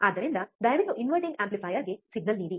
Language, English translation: Kannada, So, please give signal to the inverting amplifier